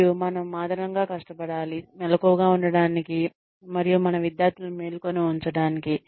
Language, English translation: Telugu, And, we have to struggle extra hard, to stay awake, and to keep our students awake